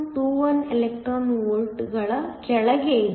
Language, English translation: Kannada, 21 electron volts